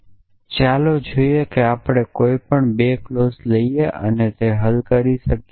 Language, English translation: Gujarati, So, let us see we can take any 2 clauses and resolve them